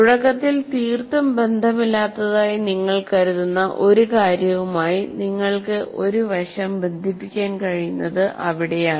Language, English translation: Malayalam, That's where you can relate one aspect to something you may consider initially totally unrelated